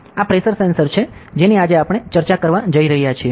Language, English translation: Gujarati, So, this is pressure sensors that we are going to discuss today